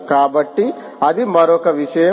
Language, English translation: Telugu, so there is another possibility